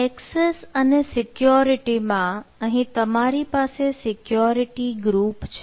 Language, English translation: Gujarati, so in access and security here you will have security groups